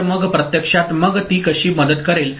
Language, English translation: Marathi, So, how does it actually then help